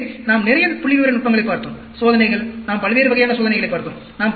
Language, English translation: Tamil, So, we looked at lot of statistical techniques, tests, different types of tests we looked at